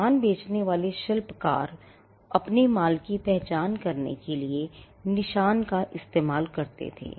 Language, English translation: Hindi, Now, craftsman who sold goods used marks to identify their goods